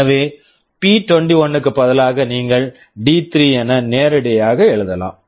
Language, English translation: Tamil, So, instead of p21 you can also write D3 straightaway